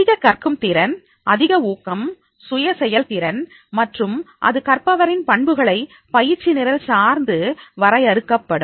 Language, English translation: Tamil, Higher is the ability to learn, higher is the motivation, higher is the self efficacy and that will be defining a learner's better characteristics towards the training program